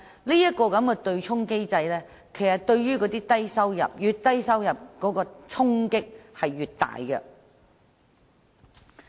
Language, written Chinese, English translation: Cantonese, 由此可見，對沖機制對低收入僱員的影響較大，收入越低者所受的衝擊便越大。, It is thus evident that the offsetting mechanism has a greater impact on low - income earners; the lower the income the greater the impact